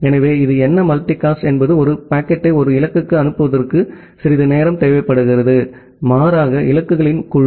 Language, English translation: Tamil, So, what is this, is multicast that some time it is required to send a packet not to a single destination, rather a group of destinations